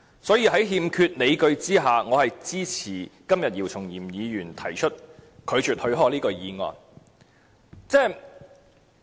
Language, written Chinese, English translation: Cantonese, 所以，在欠缺理據下，我是支持姚松炎議員今天提出拒絕許可的議案的。, Therefore I support todays motion moved by Dr YIU Chung - yim to reject the Governments request for leave in the absence of a sound justification